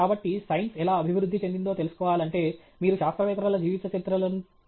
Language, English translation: Telugu, So, if you want to know how science has progressed, you have to look at the biographies of scientists